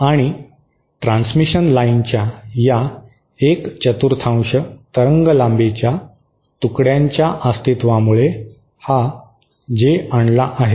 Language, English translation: Marathi, And this J is introduced because of the presence of these quarter wavelength pieces of transmission line